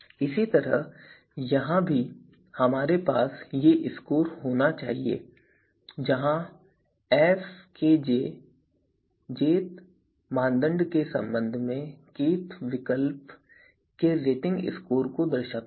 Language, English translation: Hindi, Similarly, here also we are supposed to have these scores where fkj is denoting the rating score of kth alternative with respect to jth criterion